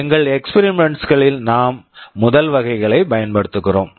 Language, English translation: Tamil, In our experiments we shall be using the first category